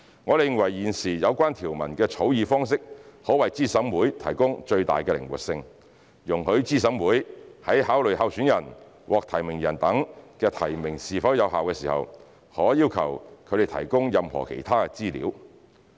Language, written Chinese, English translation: Cantonese, 我們認為現時有關條文的草擬方式可為資審會提供最大的靈活性，容許資審會在考慮候選人、獲提名人等的提名是否有效時，可要求他們提供任何其他資料。, We believe that the existing drafting approach of the provisions aims to provide flexibility for CERC to request any other information from candidates nominees et al . when considering the validity of their nominations